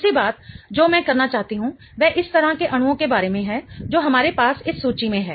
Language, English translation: Hindi, The second thing I want to talk about is about the kind of molecules that we have in this table